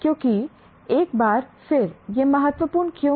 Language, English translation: Hindi, Something, because once again, why is it important